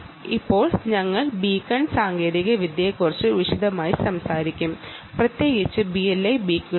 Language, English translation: Malayalam, now we will talk about the beacon technology in detail, ah, particularly b l e beacons